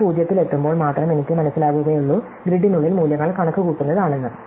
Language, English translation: Malayalam, Only when I reach the 0, I have realized, that the values are kind of computed inside the grid, do not worry, right